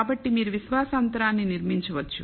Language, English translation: Telugu, So, you can construct the confidence interval